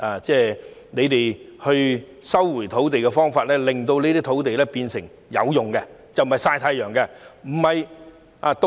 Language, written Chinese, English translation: Cantonese, 政府收回土地的方法，令這些土地變得有用，不再"曬太陽"或閒置。, Through resumption the Government has turned these idle land lots into useful sites